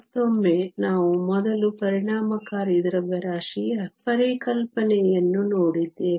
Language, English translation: Kannada, Once again, we have seen the concept of effective mass before